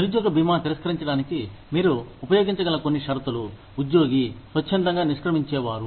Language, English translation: Telugu, Some conditions, that you can use, to deny unemployment insurance are, an employee, who quits voluntarily